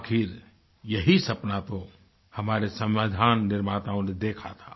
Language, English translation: Hindi, After all, this was the dream of the makers of our constitution